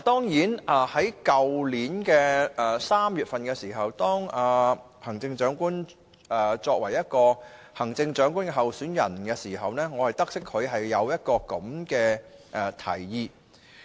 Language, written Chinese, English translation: Cantonese, 去年3月行政長官仍是行政長官候選人時，我得悉她有這樣的提議。, I learnt that the Chief Executive had such a proposal when she was still a Chief Executive candidate last March